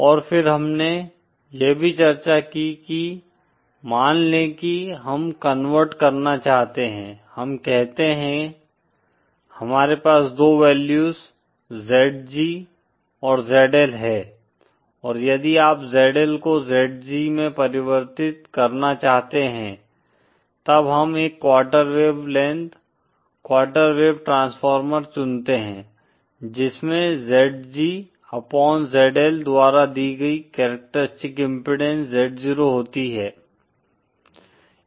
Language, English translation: Hindi, And then we also discussed that suppose we want to convert, say we, say we have two values ZG and ZL and if you want to convert ZL to ZG; then we choose a quarter wave length, quarter wave transformer having characteristic impedance Z 0 given by ZG upon ZL